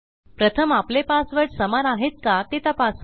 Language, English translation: Marathi, The first check I want to do is to see if my passwords match